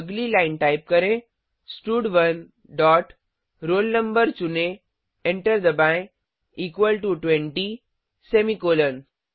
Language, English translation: Hindi, Next line type stud1 dot selectroll no press enter equal to 20 semicolon